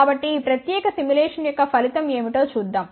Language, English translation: Telugu, So, let see what is the result of this particular simulation